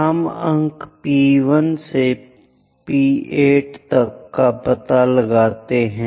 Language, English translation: Hindi, We locate points P1, 2, 3, 4, 5, 6, 7, 8